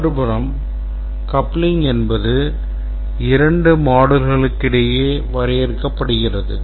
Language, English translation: Tamil, On the other hand, the coupling is defined between two modules